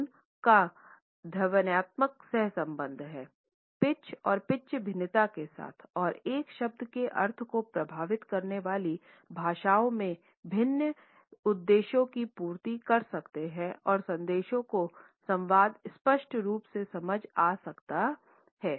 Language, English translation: Hindi, Tone is the phonological correlate of pitch and pitch variation and can serve different purposes across languages affecting the meaning of a word and communicating it clearly to the audience